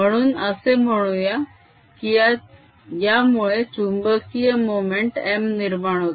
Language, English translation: Marathi, so let's say this fellow develops a magnetic moment, m